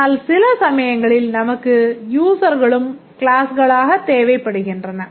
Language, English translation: Tamil, But of course sometimes we need to have some of the users also as classes